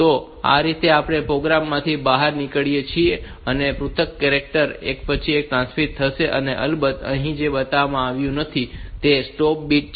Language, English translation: Gujarati, So, this way we can exit this program, and by this individual characters will be transmitted one after the other and of course, what is not shown here is the finally, we need to transmit to stop bit